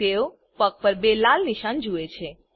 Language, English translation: Gujarati, They see two red spots on the foot